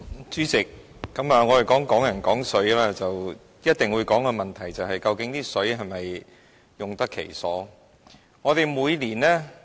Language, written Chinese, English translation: Cantonese, 主席，我們談"港人港水"，一定會討論的問題是，究竟那些食水是否用得其所？, President when we talk about Hong Kong people Hong Kong water the issue we must discuss is whether the fresh water is being used properly